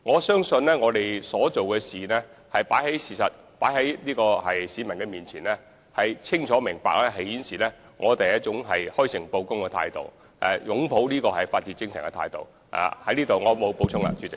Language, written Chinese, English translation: Cantonese, 相信我們的行動是事實擺在市民面前，一切清楚明白，足可顯示我們是以開誠布公、擁抱法治精神的態度行事。, I think the public can all see the fact before their very eyes . All we have done are both clear and transparent showing we have been acting in a frank and sincere manner and with an attitude of embracing the spirit of the rule of law